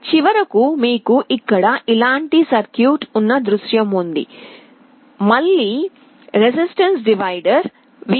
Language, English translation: Telugu, At the end you have a scenario where you have a circuit like this; again a resistance divider V / 4, 2R, 2R to ground